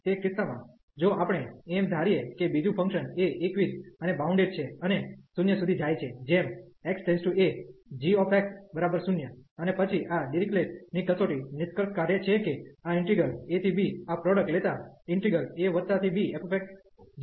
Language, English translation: Gujarati, In that case, further if we assume that another function g is monotone and bounded, and approaching to 0 as x approaching to this a and then this Dirichlet’s test concludes that this integral a to b, taking this product f x, g x also converges